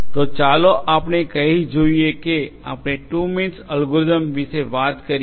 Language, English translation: Gujarati, So, let us say that we will talk about the 2 means algorithm